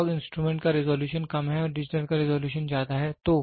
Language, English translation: Hindi, The resolution of the analog instrument is less and the resolution of the digital is more